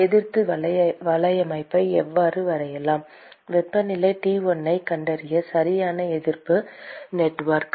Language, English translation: Tamil, How do we draw the resistance network correct resistance network to find temperature T1